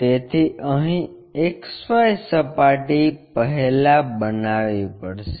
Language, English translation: Gujarati, So, here the XY plane first one has to construct